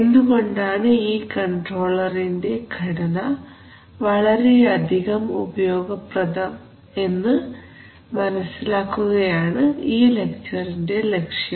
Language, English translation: Malayalam, So we are going to have a look at that, why that structure of the controller is so useful